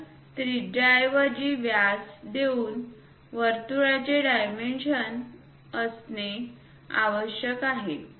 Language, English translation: Marathi, So, a circle should be dimension by giving its diameter instead of radius is must